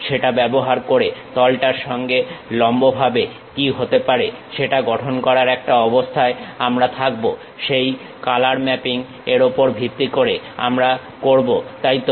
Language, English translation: Bengali, By using that, we will be in a position to construct what might be the normal to surface, based on that color mapping we will do right